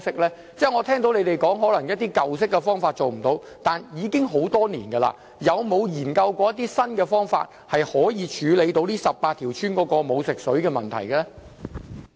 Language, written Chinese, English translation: Cantonese, 我聽到局長說可能一些舊方法做不到，但已經很多年了，有否研究過一些新方法，可以處理這18條村沒有食水供應的問題？, I heard the Secretary say that some old methods may not be feasible . But it has been so many years . Has the Bureau studied some new methods to address the problem of no potable water supply in these 18 villages?